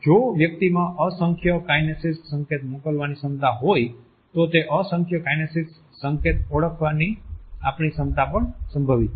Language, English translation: Gujarati, If the capacity of human beings to send in numerous kinesic signals exists then our capacity to recognize kinesic signals is also potentially immense